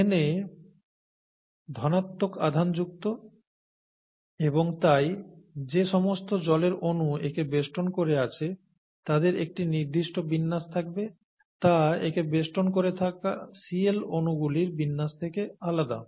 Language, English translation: Bengali, Na is positively charged and therefore a certain orientation happens to the molecules of water that surround it which is different from the orientation that happens to the molecules of Cl that surrounds it, okay